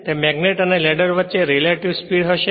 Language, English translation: Gujarati, So, there will be a relative speed between that magnet and the ladder